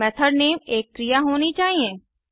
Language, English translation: Hindi, Also the method name should be a verb